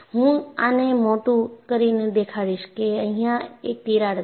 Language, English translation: Gujarati, I would enlarge this and you find there is a crack here